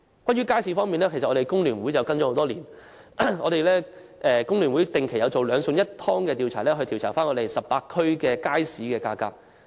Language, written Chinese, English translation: Cantonese, 我們工聯會多年來一直跟進街市方面的問題，並且定期進行"兩餸一湯"調查，公布18區的街市價格。, Over the years FTU has been following up on market - related issues and conducting regular surveys on the two dishes and one soup index by announcing the prices of items sold in the markets of the 18 districts